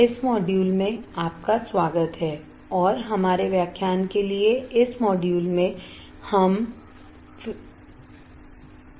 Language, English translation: Hindi, Welcome to this module, and in this module for our lecture, we are looking at filters